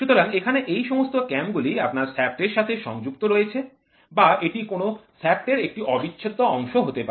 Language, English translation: Bengali, So, here it all these cams are attached to your shaft or it is an integral part of a shaft